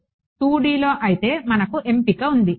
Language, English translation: Telugu, In 2 D however, we have a choice ok